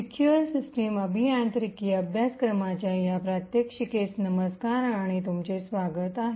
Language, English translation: Marathi, Hello and welcome to this demonstration in the course for Secure System Engineering